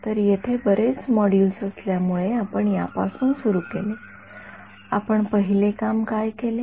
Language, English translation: Marathi, So, the flow of because there were many modules over here we started with, what do the first thing that we did